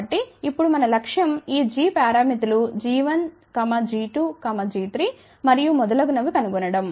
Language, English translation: Telugu, So, the objective is now to find out these g parameters g 1, g 2, g 3 and so on